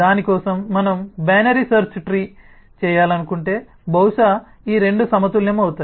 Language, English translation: Telugu, if, for that, we want to do a binary search tree, then possibly these two get balanced